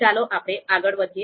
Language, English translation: Gujarati, So let’s move forward